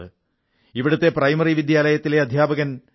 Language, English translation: Malayalam, A Primary school teacher, P